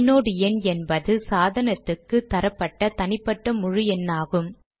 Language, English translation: Tamil, The inode number is a unique integer assigned to the device